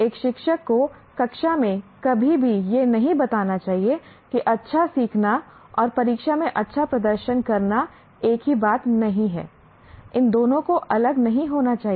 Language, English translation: Hindi, A teacher should never state in the classroom, a learning well is not the same thing as performing well in the examination